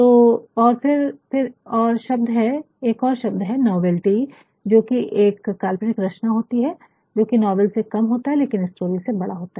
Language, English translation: Hindi, So, and then there is another term called novelty which is a work of fiction which is lesser than a novel, but then longer than a short story